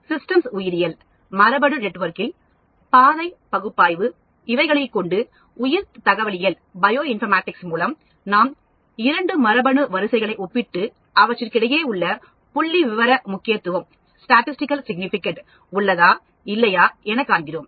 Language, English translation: Tamil, Systems biology, gene networking, pathway analysis, because in biology and bio informatics you are dealing with large amount of data, the sequence of genes you are comparing two genes sequences and trying to say whether there is any statistical significant difference between them